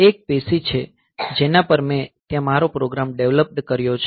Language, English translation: Gujarati, So, this is a PC on which, I have developed my program there